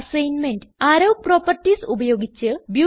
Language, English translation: Malayalam, As an assignment Using arrow properties 1